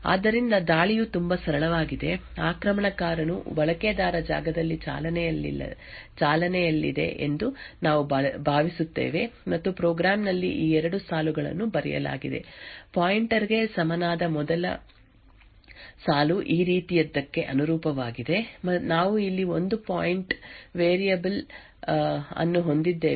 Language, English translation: Kannada, So the attack as such is quite simple the attacker we assume is running in the user space and has these two lines written in the program, the first line i equal to *pointer corresponds to something like this we have a pointer variable over here and let us assume that this point of variable is pointing to a location say this